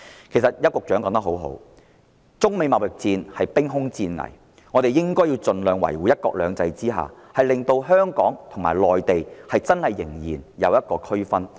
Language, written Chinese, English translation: Cantonese, 其實邱局長說得很好，中美貿易戰兵凶戰危，我們應該盡量維護"一國兩制"，使香港和內地真的仍然存在區別。, In fact Secretary Edward YAU was so right in saying that in the midst of the dangerous trade war between China and the United States we should try our best to maintain one country two systems so as to distinguish Hong Kong from the Mainland